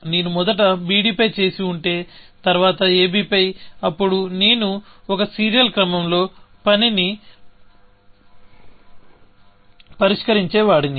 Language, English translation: Telugu, If I have done on b d first, and then, on a b, then I would have solved the task in a serial order, essentially